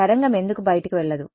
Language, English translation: Telugu, Why would not the wave go out